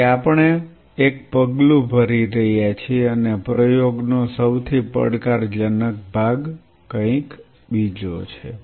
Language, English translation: Gujarati, So, we are taking one step and the most challenging part of the game is something else